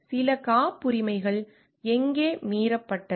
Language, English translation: Tamil, And where is it like some patents were violated